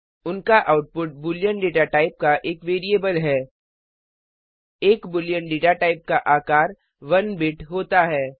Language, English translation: Hindi, Their output is a variable of boolean data type A boolean data type is of size 1 bit It stores only two values